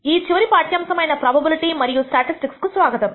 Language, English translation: Telugu, Welcome to this last lecture on Introduction to Probability and Statistics